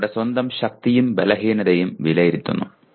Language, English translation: Malayalam, Evaluating one’s own strengths and weaknesses